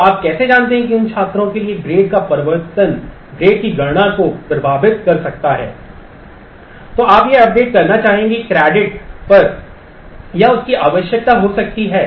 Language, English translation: Hindi, So, how do you know that for those students, the change of the grade may impact the computation of the on credits